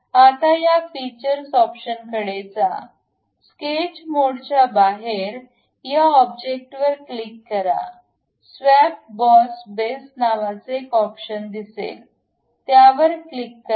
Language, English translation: Marathi, Now, in that go to features, come out of sketch mode, click this object; there is an option in the features swept boss base, click that